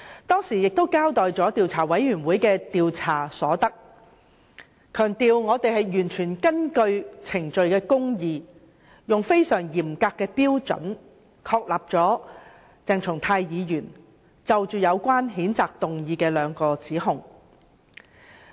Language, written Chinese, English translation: Cantonese, 當時，我交代了調查委員會的調查結果，強調調查委員會完全遵守程序公義，根據非常嚴格的標準確立了有關譴責議案對鄭松泰議員作出的兩個指控。, At that meeting I gave an account of the findings of IC and stressed that IC had fully observed procedural justice and substantiated the two allegations made in the censure motion against Dr CHENG Chung - tai according to a most stringent standard